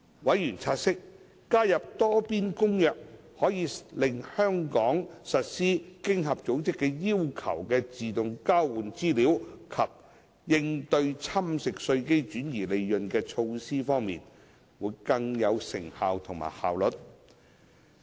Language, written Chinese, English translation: Cantonese, 委員察悉，加入《多邊公約》可使香港在實施經合組織要求的自動交換資料及應對侵蝕稅基及轉移利潤的措施方面，更有成效及效率。, Members of the Bills Committee have noted that the participation in the Multilateral Convention can allow Hong Kong to enhance its effectiveness and efficiency in implementing AEOI and base erosion and profit shifting BEPS initiatives required by OECD